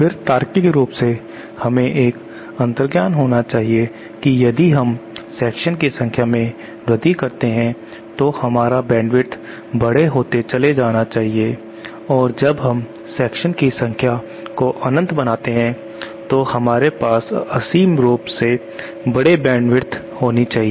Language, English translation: Hindi, Then logically we should have an intuition that if we keep on increasing the number of sections then our bandwidth should go on progressively becoming larger and then when we make the number of sections as infinite we should have infinitely large band width